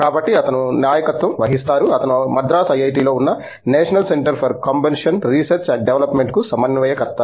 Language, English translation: Telugu, So, he heads the, he is the coordinator for the National Center for Combustion Research and Development, which is housed here in IIT, Madras